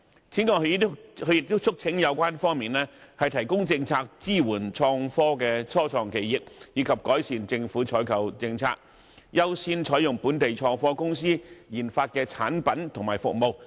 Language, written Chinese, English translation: Cantonese, 此外，他亦促請有關方面提供政策，支援創科的初創企業，以及改善政府的採購政策，優先採用本港創科公司研發的產品和服務。, Moreover he urges the relevant authorities to provide innovation and technology start - ups with support in terms of policies while improving government procurement policies to give priority to using products and services researched and developed by local innovation and technology companies